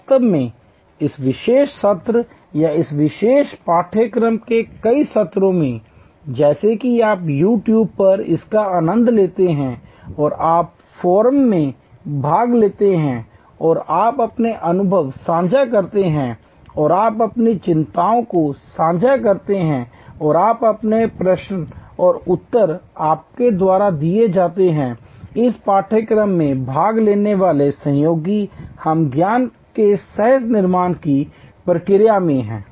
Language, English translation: Hindi, In fact, in this particular session or many of the session of this particular course as you enjoy it on YouTube and you participate in the forum and you share your experiences and you share your concerns and you put forward your questions and answers are given by your colleagues participating in this course, we are in the process of co creation of knowledge